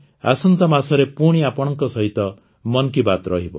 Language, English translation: Odia, Next month, we will have 'Mann Ki Baat' once again